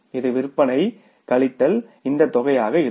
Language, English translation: Tamil, It will be sales minus this amount